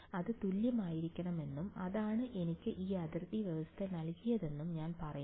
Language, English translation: Malayalam, And I say that it should be equal and that gave me this boundary condition